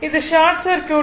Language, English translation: Tamil, So, this is short circuit